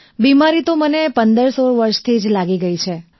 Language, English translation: Gujarati, I got sick when I was about 1516 years old